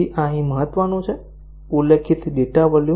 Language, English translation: Gujarati, So, this is important here; specified data volumes